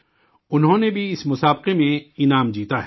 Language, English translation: Urdu, He has also won a prize in this competition